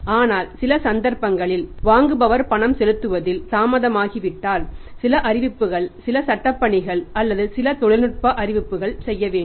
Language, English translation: Tamil, But in some cases when for example the payment is delayed by the by the buyer to be made to the seller if it is delayed then say some notices some legal work or some technical notice or legal notice as to be done